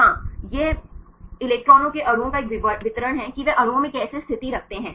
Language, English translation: Hindi, Yeah, this is a distribution of the electrons molecules how they position in the molecules